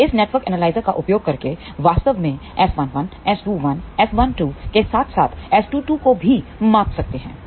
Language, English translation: Hindi, So, by using this network analyzer one can actually measure S 1 1, S 2 1, S 1 2 as well as S 2 2